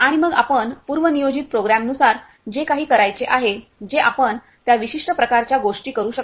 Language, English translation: Marathi, And then whatever you want to do as per pre planned program that you can do that particular kind of things